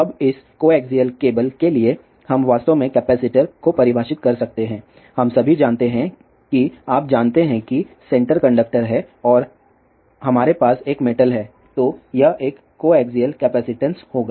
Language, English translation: Hindi, Now for this coaxial cable, we actually can define capacitors, we all know that you know that you know that there is a center conductor and we have a metal along that; then this will have a coaxial capacitance